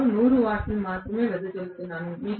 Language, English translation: Telugu, Out of which only 100 watts I have dissipated